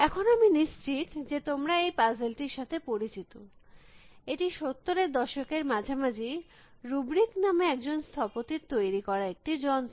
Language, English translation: Bengali, Now, I am sure you must be familiar with this puzzle, it was a device in the mid seventies, late seventies by architect called rubric